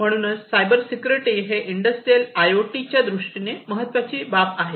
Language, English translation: Marathi, So, cloud security is a very important consideration in the context of Industrial IoT